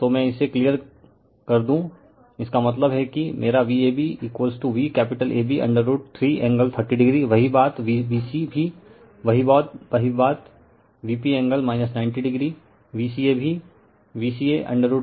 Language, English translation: Hindi, So, let me clear it, so that means, my V ab is equal to V capital AB root 3 angle 30 degree, same thing V bc also same thing, V p angle minus 90 degree, V ca also V ca root 3 V p angle minus 210 degree